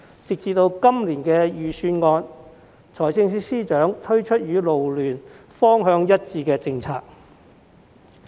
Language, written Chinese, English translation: Cantonese, 直至今年預算案，司長終於推出與勞聯方向一致的政策。, It was not until this year that FS finally introduced a policy with the same direction as FLU in his Budget